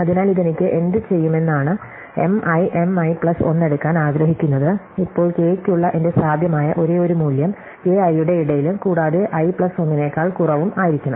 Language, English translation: Malayalam, So, what this will says that I want to take M i M i plus 1, now my only possible value for k, so k should be between i and strictly less than i plus 1